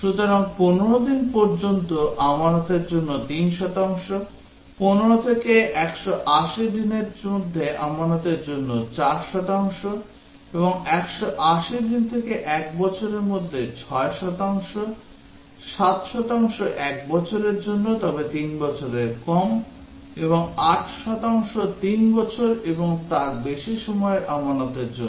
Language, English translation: Bengali, So, 3 percent for deposit up to 15 days, 4 percent for deposit over 15 and up to 180, 6 percent for deposit over 180 days to 1 year, 7 percent for 1 year but less than 3 year, and 8 percent for deposit 3 years and above